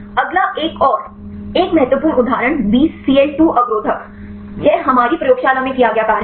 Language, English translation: Hindi, Next one another one important example the Bcl 2 inhibitors; this is the work done in our lab